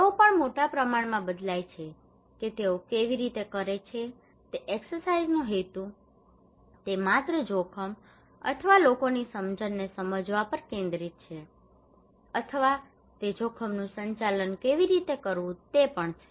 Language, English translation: Gujarati, They also vary in great extent that how they are what is the purpose of that exercise is it just focusing on understanding the risk or peoples perceptions or is it also that how to manage the risk